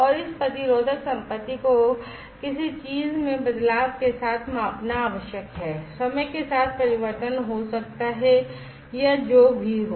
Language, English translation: Hindi, And what is required is to measure this resistive property with changes in something may be change with time or, whatever